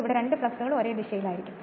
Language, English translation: Malayalam, So, both the flux will be same direction this one and this one